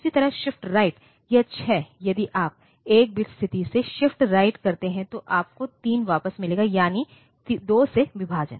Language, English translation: Hindi, Similarly, shift right; this 6, if you shift right by 1 bit position you will get back 3, so that is, division by 3